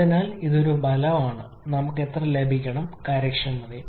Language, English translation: Malayalam, So this is one result and we have to get the efficiency as well